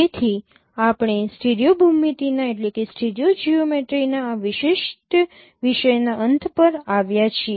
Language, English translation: Gujarati, So we have come to the end of this particular topic of stereo geometry